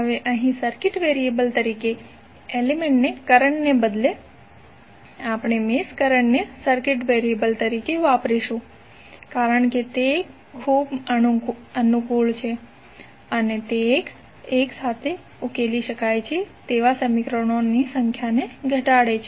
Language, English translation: Gujarati, Now, here instead of element current as circuit variable, we use mesh current as a circuit variable because it is very convenient and it reduces the number of equations that must be solved simultaneously